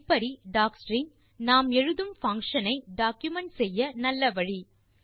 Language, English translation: Tamil, Thus doc string is a good way of documenting the function we write